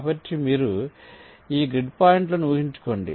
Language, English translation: Telugu, so you just imagine this grid point